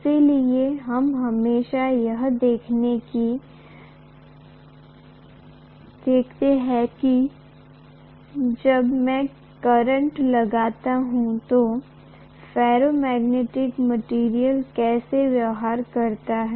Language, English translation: Hindi, So we are always looking at how a ferromagnetic material behaves when I apply a current